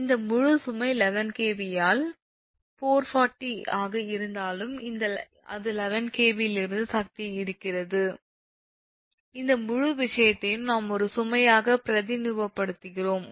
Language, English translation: Tamil, these are the load, this whole eleven kv by four, forty, whatever it is drawing ah power from the eleven kv, this whole thing, we represent it as a load